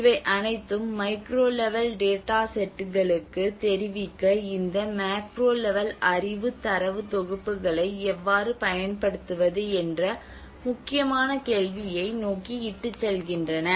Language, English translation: Tamil, So there is all this actually leads towards an important question of how to use this macro level knowledge data sets to inform the micro level data sets